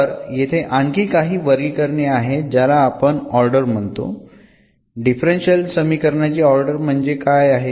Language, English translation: Marathi, So, there are other classifications here which we call the order what is the order of the differential equation